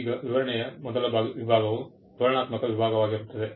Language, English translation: Kannada, Now, the first section of the specification will be a descriptive section